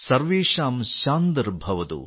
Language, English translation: Malayalam, Sarvesham Shanti Bhavatu